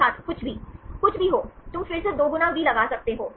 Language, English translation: Hindi, Anything Anything, you can put a 2 times V again